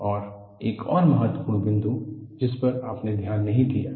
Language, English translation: Hindi, And, there is another important point, which you have not noticed